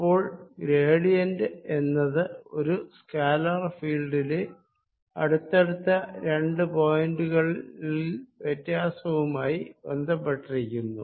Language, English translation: Malayalam, so gradient is related to change in a scalar field in going from one point to a nearby point